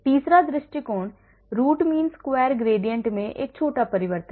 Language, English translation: Hindi, third approach is a small change in the root mean square gradient